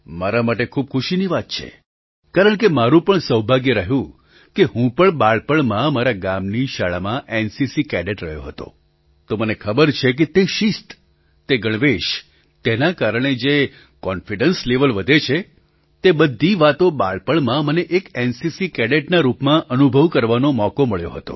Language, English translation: Gujarati, It is matter of joy for me because I also had the good fortune to be an NCC Cadet in my village school as a child, so I know that this discipline, this uniform, enhances the confidence level, all these things I had a chance to experience as an NCC Cadet during childhood